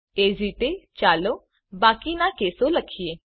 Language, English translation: Gujarati, Similarly, let us type the remaining cases